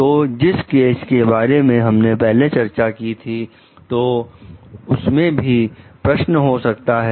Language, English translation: Hindi, So, the case that we discussed in the earlier case may be the question